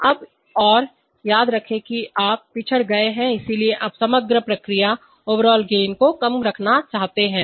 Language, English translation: Hindi, So now, and remember that you have lag so you want to keep the overall process gain lower